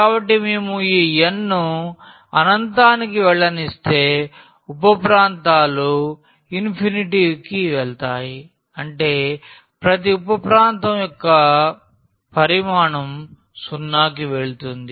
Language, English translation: Telugu, So, if we are letting this n goes to infinity then the sub regions will go to we infinity; that means, the volume of each sub region will go to 0